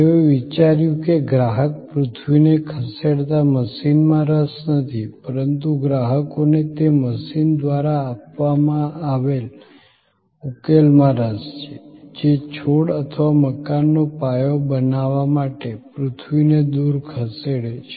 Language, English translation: Gujarati, They thought that the customer is not interested exactly in that machine, the earth moving machine, the customer is interested in the solution provided by that machine, which is moving earth away to create the foundation for the plant or for the building